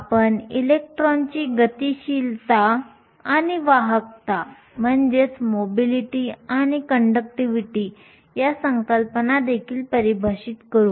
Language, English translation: Marathi, We will also define concepts of electron mobility and conductivity